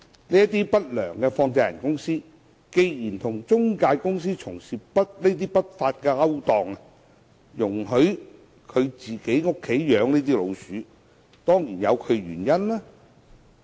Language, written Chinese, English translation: Cantonese, 這些不良放債人公司既然與中介公司從事不法勾當，容許在自己家中"養老鼠"，當然有其原因。, These unscrupulous money lenders certainly have their reasons to engage in unlawful practices in collusion with the intermediaries which is like allowing the keeping of rats in their own houses